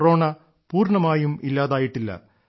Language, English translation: Malayalam, … Don't forget that Corona has not gone yet